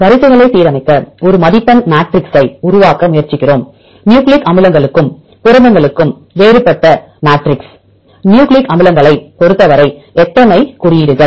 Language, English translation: Tamil, Then we try to construct a scoring matrices to align the sequences; so different matrix for nucleic acids and for proteins, for the case of nucleic acids how many bases